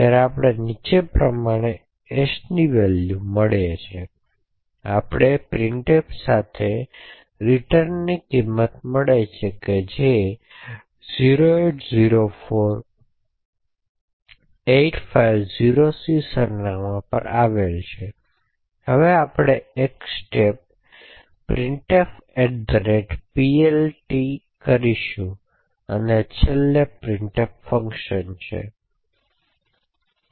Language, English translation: Gujarati, So we have got the value of s and we also have got the value of the return from the printf that is at the address 0804850c and now we will let will just single step through a couple of instructions we enter the printf@PLT and finally into the printf function